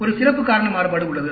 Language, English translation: Tamil, There is a special cause variation